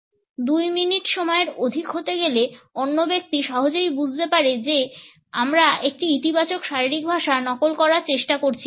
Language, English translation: Bengali, Beyond a space of 2 minutes the other person can easily find out if we are trying to fake a positive body language